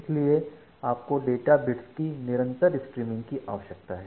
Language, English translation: Hindi, So you require constant streaming of data bits